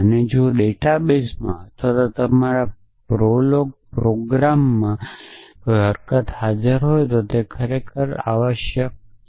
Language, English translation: Gujarati, And if it if a fact is present in the database or in your program prolog program it is really true essentially